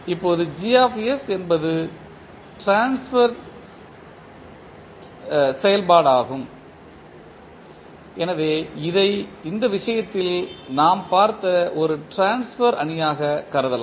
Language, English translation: Tamil, Now, Gs is the transfer function so you ca see this can be considered as a transfer matrix which we just saw in this case